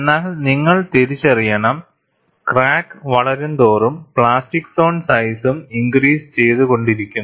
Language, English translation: Malayalam, But you have to recognize, as the crack grows, the plastic zone sizes keeps increasing, and also formation of plastic wake